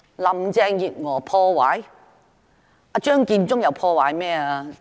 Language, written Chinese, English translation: Cantonese, 林鄭月娥破壞了甚麼？, What did Carrie LAM destroy?